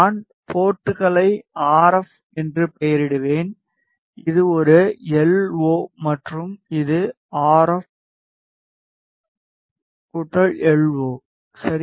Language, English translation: Tamil, I will name ports as RF, this is a LO and this is RF plus LO ok